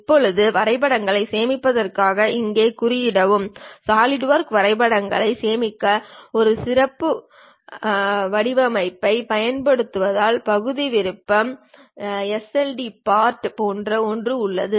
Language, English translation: Tamil, Now, the notation here for saving drawings is because Solidworks use a specialized format for saving drawings, there is something like Part option sld part